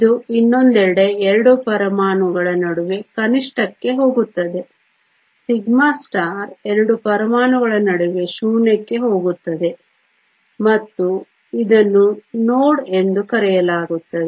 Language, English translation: Kannada, It goes to minimum between the 2 atoms on the other hand sigma star goes to a zero between the 2 atoms and this is called a node